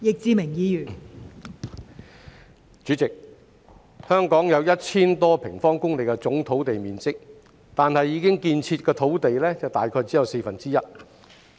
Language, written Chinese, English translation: Cantonese, 代理主席，香港有 1,000 多平方公里的總土地面積，但已建設的土地只佔約四分之一。, Deputy President of the total land area of some 1 000 sq km in Hong Kong only about a quarter is built up